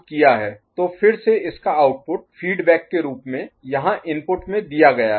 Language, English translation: Hindi, So, again the output of it is feed back as input of this one